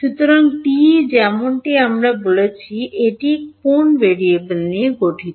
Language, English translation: Bengali, So, TE as we have said it consists of which variables